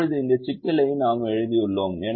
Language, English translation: Tamil, now we have written this problem, so we want to solve this